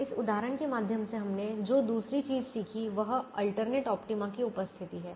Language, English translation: Hindi, the other thing we learnt through this example is the presence of alternate optima